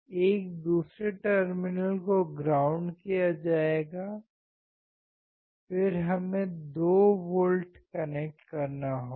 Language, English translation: Hindi, So, another terminal will be ground, then we have to connect 2 volts